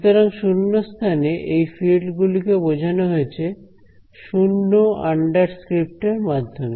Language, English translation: Bengali, So, the fields in empty space or vacuum they are denoted by the 0 under script right